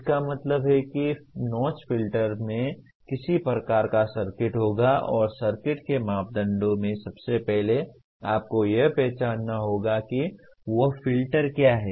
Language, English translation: Hindi, That means notch filter will have a some kind of a circuit and the parameters of the circuit will have, first you have to identify what that filter is